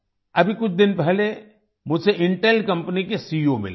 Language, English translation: Hindi, Just a few days ago I met the CEO of Intel company